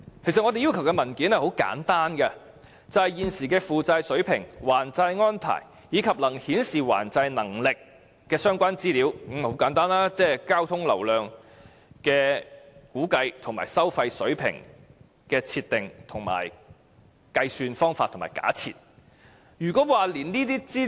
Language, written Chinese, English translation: Cantonese, 其實，我們要求的文件很簡單，也就是現時的負債水平、還債安排，以及能夠顯示還債能力的相關資料，亦即交通流量的估計和收費水平的計算及假設，就是這麼簡單。, Actually the documents requested by us are very simple the current debt levels repayment arrangements and information indicating the ability to repay the debts―traffic flow volume estimation and the toll level calculations and assumptions . Just so simple!